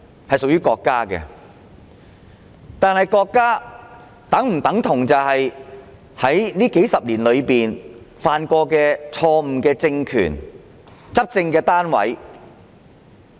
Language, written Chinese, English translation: Cantonese, 是屬於國家的，但國家是否等同這數十年來曾犯下錯誤的政權和執政單位？, It belongs to the country . But can the country be equated with the political regime and authorities that have erred over these several decades?